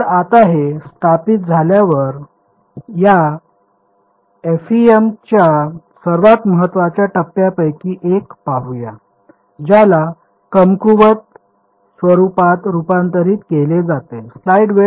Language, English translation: Marathi, So, with now with this having being established let us look at one of the very key steps of this FEM which is converting to what is called a weak form